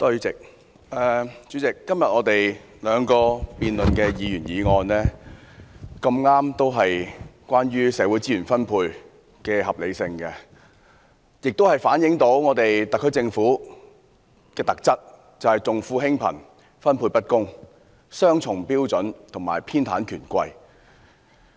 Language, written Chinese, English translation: Cantonese, 主席，今天我們辯論的兩項議員議案，剛巧都是關於社會資源分配的合理性，反映特區政府的特質，便是重富輕貧，分配不公，採用雙重標準和偏袒權貴。, President both Members motions under our debate today happen to concern the rationality of social resource distribution . It demonstrates the characteristic of the Special Administrative Region Government which is caring for the rich and ignoring the poor allocating resources in an unfair manner adopting double standards and being biased for the rich and powerful